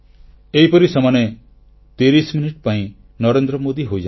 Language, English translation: Odia, In this way for those 30 minutes they become Narendra Modi